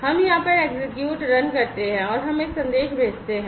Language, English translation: Hindi, So, we execute over here, we run, and we send a message